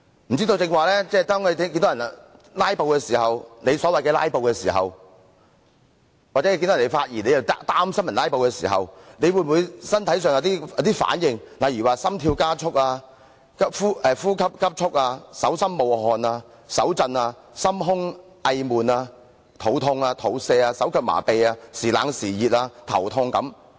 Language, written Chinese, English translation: Cantonese, 不知道剛才黃議員看到有人在所謂"拉布"時，或聽到有人發言便擔心會"拉布"時，他身體有否產生反應，例如心跳加速、呼吸急速、手心冒汗、手震、心胸翳悶、肚痛、肚瀉、手腳麻痺、忽冷忽熱、頭痛等。, Just now when Mr WONG saw that some Members were filibustering so to speak or when he feared that a Member would filibuster upon hearing that the Member was going to speak did he experience any bodily reactions such as an increased heart rate shortness of breath sweating palms hand tremors chest discomfort stomach ache diarrhoea limb numbness a rigor and a headache?